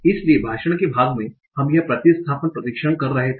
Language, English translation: Hindi, So in part of speech, we could have done this substitution test